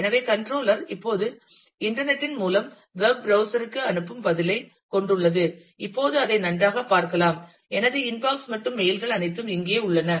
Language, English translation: Tamil, So, controller now has the response which it is sends back to the web browser through the internet, and we get to see that well now, my inbox and mails are all here